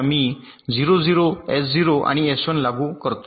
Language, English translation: Marathi, so i apply zero zero to s zero and s one